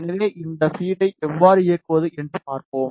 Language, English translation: Tamil, So, we will see how to play this feed